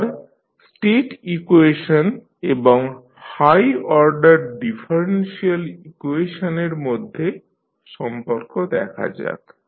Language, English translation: Bengali, Now, let us see the relationship between state equations and the high order differential equations